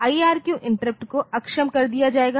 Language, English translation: Hindi, IRQ interrupts will be disabled, ok